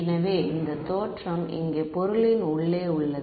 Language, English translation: Tamil, So, origin is here inside the object